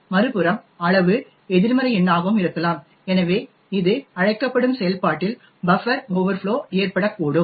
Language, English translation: Tamil, On the other hand size could be a negative number as well, so this could result in a buffer overflow in the callee function